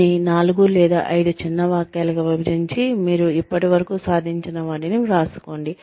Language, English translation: Telugu, Break it up, into, maybe 4 or 5 short sentences, and write down, what you have achieved, till date